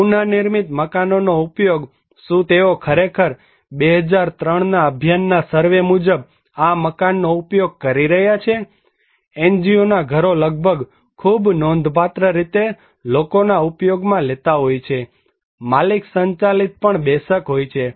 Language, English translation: Gujarati, Use of reconstruction house; are they really using these houses according to a Abhiyan survey in 2003, NGO houses are almost also very significantly people are using, owner driven of course but NGO driven also some people are not using around 20%